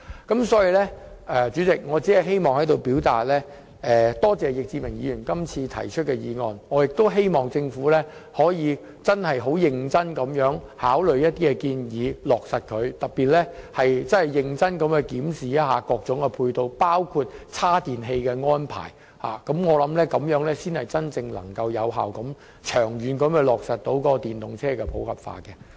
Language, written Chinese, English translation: Cantonese, 代理主席，我在此感謝易志明議員提出今天的議案，亦希望政府能認真考慮並落實易議員的建議，尤其須認真檢視各種配套的安排，包括充電設施，這樣才能長遠有效地在本港落實電動車普及化。, Deputy President I wish to thank Mr Frankie YICK for proposing todays motion and I hope the Government can seriously consider and implement the proposals put forward by Mr YICK especially in examining seriously the provision of ancillary facilities in particular the charging facilities because that is the only solution to facilitate the popularization of EVs in the long run